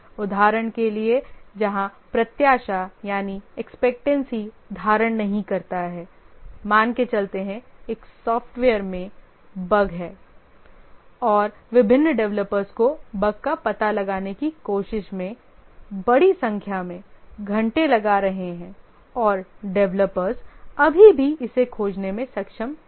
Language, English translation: Hindi, Just to give an example where expectancy does not hold, let's say a software has a bug and different developers have put large number of hours trying to locate the bug and still are not able to find it